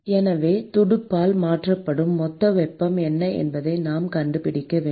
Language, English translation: Tamil, So, therefore, we need to find out what is the total heat that is transferred by the fin